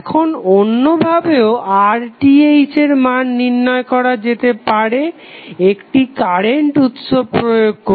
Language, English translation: Bengali, Now, alternatively R Th can also be evaluated by inserting a current source